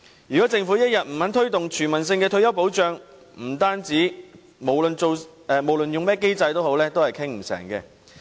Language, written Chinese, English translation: Cantonese, 如果政府一天不肯推動全民退休保障，則不論採用甚麼機制也不會達成共識。, As long as the Government is unwilling to promote universal retirement protection a consensus cannot be reached no matter which mechanism is used for discussion